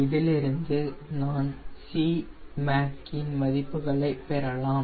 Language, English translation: Tamil, so from this i can get the values of c mac